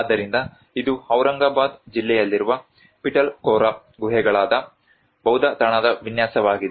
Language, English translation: Kannada, \ \ \ So, this is the layout of a Buddhist site which is a Pitalkhora caves which is in the district of Aurangabad